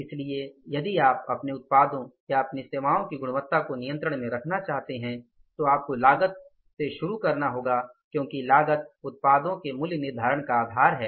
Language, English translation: Hindi, So, if you want to keep the prices of your product or your services under control, you have to start from the cost because cost is the basis of pricing the products